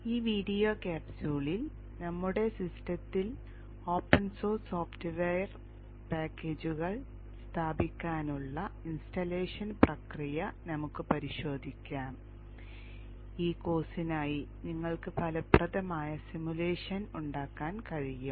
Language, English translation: Malayalam, In this video capsule we shall look into the open source software packages onto our system such that we will be able to make effective simulation for this course